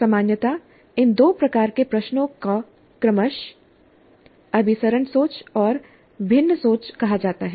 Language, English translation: Hindi, And generally these two types of questions are being called as convergent thinking and divergent thinking respectively